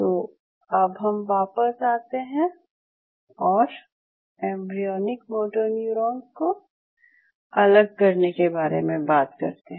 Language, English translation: Hindi, So, coming back when we talk to you about separation of embryonic motoneurons